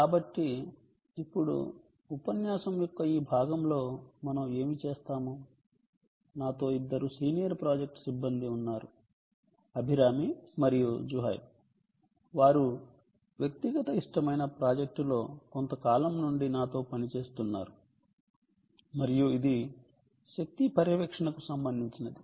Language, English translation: Telugu, so, ah, now, what we will do in this part of the lecture is, ah, i have two very senior project staff with me, abhirami and zuhaib, who are working with me for sometime on a very pet project of ours and that is related to um, a energy monitoring